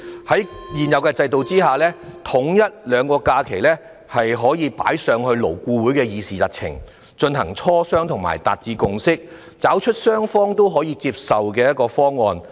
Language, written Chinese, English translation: Cantonese, 在現有制度下，統一兩種假期可以列入勞工顧問委員會的議程，以便進行磋商並達致共識，尋求雙方均可以接受的方案。, Under the existing system the alignment of the two types of holidays can be included in the agenda of the Labour Advisory Board so that it can discuss and forge a consensus and then come up with a mutually acceptable option